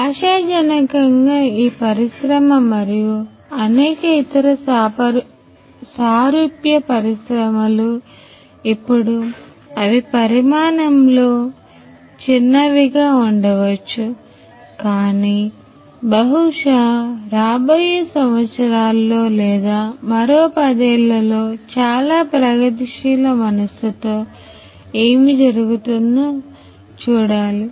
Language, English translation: Telugu, And hopefully these industry this one and many other similar industry who are maybe they are small in size now, but very progressive minded what is going happen probably is in the years to come maybe in another ten years or